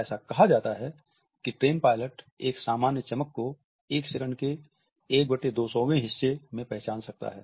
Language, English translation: Hindi, It is said that a train pilot can purportedly identify a plane flashes as briefly as 1/200th of a second